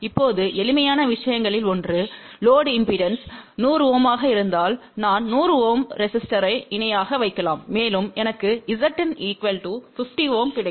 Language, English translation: Tamil, Now, one of the simple thing you may thing that ok if the load impedance is 100 Ohm , I can put 100 Ohm resistor in parallel and I would get Z input equal to 50 Ohm